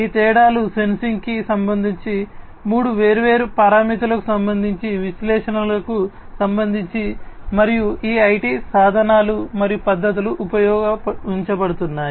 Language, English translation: Telugu, So, and these differences are with respect to three different parameters with respect to sensing, with respect to analytics, and these IT tools and methodologies that are being used